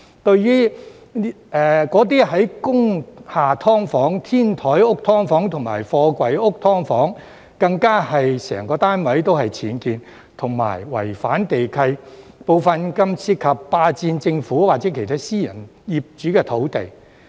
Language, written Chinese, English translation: Cantonese, 至對工廈"劏房"、天台屋"劏房"及貨櫃屋"劏房"，更有可能是整個單位僭建和違反地契，部分更涉及霸佔政府或其他私人業主的土地。, For those SDUs in industrial buildings rooftop houses and container houses they may even involve UBWs and breaches of land leases as a whole and some may involve unlawful occupation of government - owned or other privately - owned lands